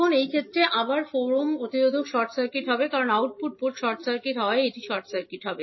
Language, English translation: Bengali, Now, in this case again the 4 ohm resistor will be short circuited because this will be short circuited because of the output port is short circuit